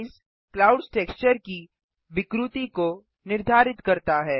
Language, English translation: Hindi, Noise determines the distortion of the clouds texture